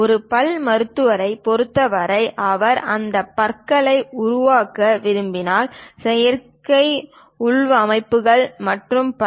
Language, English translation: Tamil, For a dentist, if he wants to make these teeth, artificial implants and so on